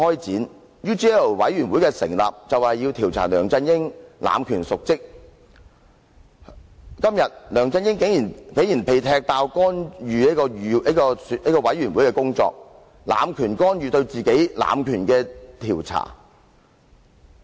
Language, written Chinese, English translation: Cantonese, 成立專責委員會的目的是要調查梁振英濫權瀆職，今天梁振英竟然被"踢爆"干預專責委員會的工作，濫權干預對自己濫權的調查。, The purpose of setting up the Select Committee is to inquire into LEUNG Chun - yings abuse of power and dereliction of duty; yet it is uncovered that LEUNG Chun - ying interfered with the work of the Select Committee and he abused power to interfere with the inquiry on his abuse of power